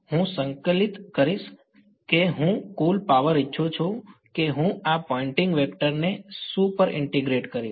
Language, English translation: Gujarati, I would integrate supposing I wanted the total power I would integrate this Poynting vector over what